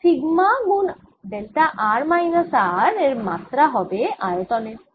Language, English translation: Bengali, therefore this has dimensions of sigma times delta r minus r as dimensions of one over the volume, ah, one over the volume